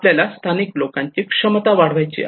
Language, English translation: Marathi, And then we need to incorporate local knowledge